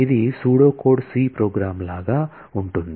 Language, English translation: Telugu, This is pretty much like pseudo code C program